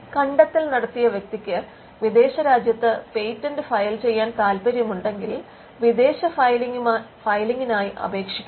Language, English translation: Malayalam, Now, if the inventor wants to file the patent in a foreign country then, the inventor has to request for a foreign filing